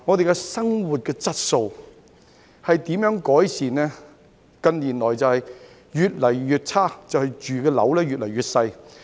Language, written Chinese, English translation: Cantonese, 近年生活質素越來越差，因為居住的單位越來越小。, In recent years the quality of life has been deteriorating because the residential units are getting smaller and smaller